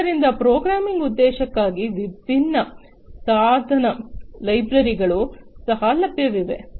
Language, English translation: Kannada, So, different device libraries are also available for the programming purpose